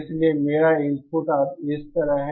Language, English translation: Hindi, Therefore my input is now like this